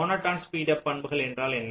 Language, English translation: Tamil, so what is monotone speedup property